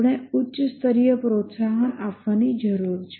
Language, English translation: Gujarati, We need to give a higher level incentive